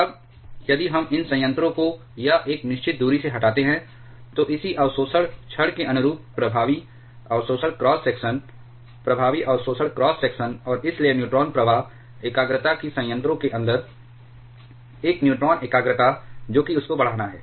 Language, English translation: Hindi, Now, if we remove these reactors or by a certain distance, then the corresponding absorption cross section, effective absorption cross section corresponding to this control rod that reduces, and hence the neutron flux concentration that a neutron concentration inside the reactor that has to increase